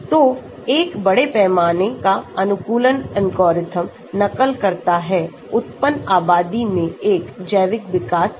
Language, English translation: Hindi, So, a large scale optimization algorithm mimicking a biological evolution in a randomly generated population